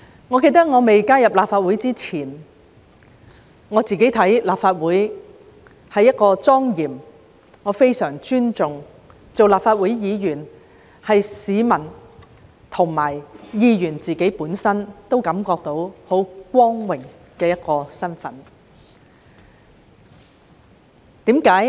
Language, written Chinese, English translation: Cantonese, 我記得在加入立法會前，立法會對我而言是相當莊嚴的，我非常尊重，而立法會議員亦是市民和議員本身皆感到非常光榮的身份。, I remember that before joining the Legislative Council I found the Legislative Council to be solemn and respectable and being a Legislative Council Member was an honourable status to people and Members themselves